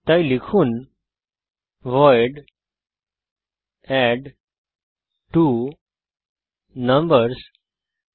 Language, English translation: Bengali, So type void addTwoNumbers